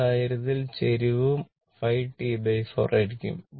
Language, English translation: Malayalam, So, in that case slope will be minus 5 into T by 4